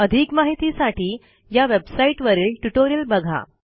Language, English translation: Marathi, For details please visit this website